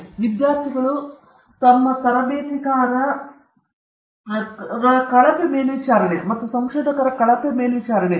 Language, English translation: Kannada, Then, poor supervision of students and trainees and poor oversight of researchers